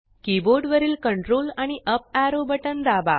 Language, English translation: Marathi, press Ctrl up arrow button on your keyboard